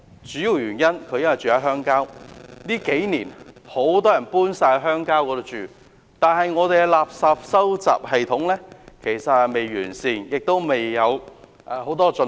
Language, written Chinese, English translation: Cantonese, 主要原因是他住在鄉郊，近數年，很多人搬往鄉郊居住，但我們的垃圾收集系統未臻完善，有很多需要改進的地方。, The main reason is that he lives in the rural areas . In recent years many people have moved to live in rural areas but our refuse collection system is not enhanced and there is much room for improvement